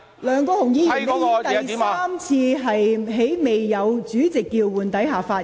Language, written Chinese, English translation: Cantonese, 梁國雄議員，你已第三次在未經主席叫喚下發言。, Mr LEUNG Kwok - hung it is the third time that you speak without being called by the President